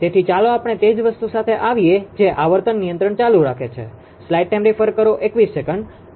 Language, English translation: Gujarati, So, let us come with the same thing that load frequency control continuation